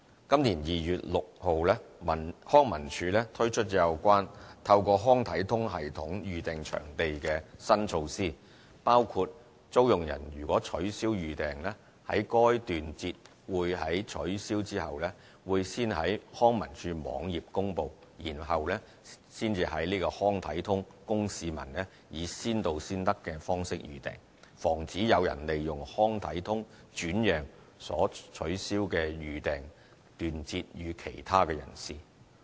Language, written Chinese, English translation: Cantonese, 今年2月6日康文署推出有關透過"康體通"系統預訂場地的新措施，包括租用人如取消預訂，該段節會在取消後會先在康文署網頁公布，然後才在"康體通"供市民以先到先得的方式預訂，防止有人利用"康體通"轉讓所取消的預訂段節予其他人士。, On 6 February this year LCSD launched new measures with regard to booking venues with the Leisure Link Booking System which include when hirers cancel their bookings the cancelled sessions will be announced on LCSD website before they are made available for booking through the Leisure Link system on a first come first served basis . This measure aims at pre - empting the sale of the cancelled session to other people via Leisure Link